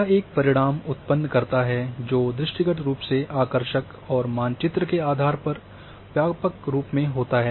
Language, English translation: Hindi, It produces a result that is visually appealing and cartographically comprehensive